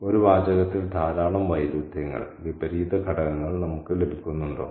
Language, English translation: Malayalam, Do we get a lot of contradictions, contrary elements in a text